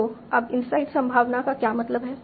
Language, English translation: Hindi, So now what we mean by inside probability